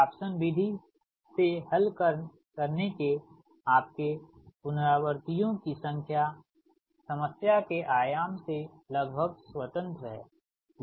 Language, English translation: Hindi, your number of beta resistance of solving a newton raphson method is almost independent of the dimension of the problem